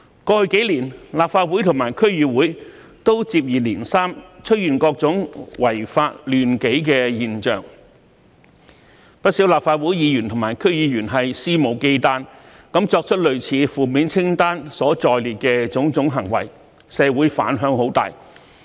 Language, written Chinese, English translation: Cantonese, 過去數年，立法會和區議會均接二連三出現各種違法亂紀的現象，不少立法會議員和區議員肆無忌憚作出類似負面清單所載列的種種行為，在社會引起很大的反響。, In the past few years various kinds of law - breaking order disrupting and violent phenomenon has occurred in the Legislative Council and DCs one after another . Many Members of the Legislative Council and DCs have done numerous reckless and unscrupulous acts similar to those set out in the negative list which has aroused great repercussions in the community